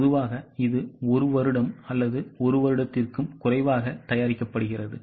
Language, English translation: Tamil, Typically it is prepared for one year or less than one year